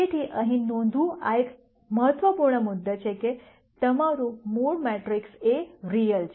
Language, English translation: Gujarati, So, this is an important point to note here though your original matrix A is real